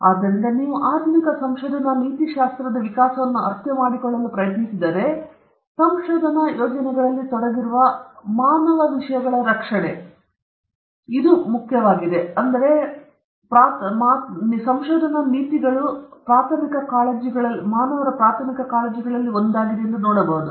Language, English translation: Kannada, So, if you try to understand the evolution of modern research ethics, we could see that the protection of human subjects involved in research projects was one of the primary concerns of research ethics in the modern day